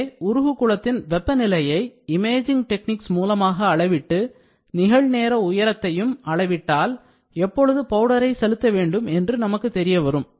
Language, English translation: Tamil, So, we need to measure the melt pool temperature using imaging techniques and measure the real time height, so that we know what is a flow of the powder to be given